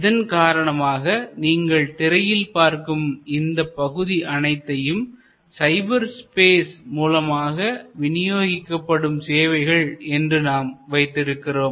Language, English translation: Tamil, So, we would have titled therefore this section as you see on your screen, delivering services in cyberspace